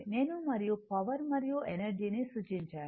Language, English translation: Telugu, I showed you and power and energy right